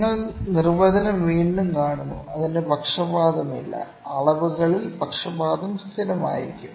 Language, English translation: Malayalam, You see the definition again; it has no bias, or if it is bias is constant in the measurand